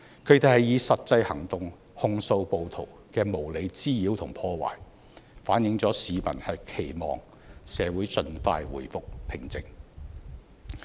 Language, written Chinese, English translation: Cantonese, 他們以實際行動控訴暴徒的無理滋擾和破壞，反映了市民期望社會盡快回復平靜。, They took concrete action to denounce the undue harassment and vandalism of the rioters . This shows that the public hopes to see society return to peace and order as soon as possible